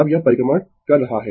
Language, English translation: Hindi, Now, it is revolving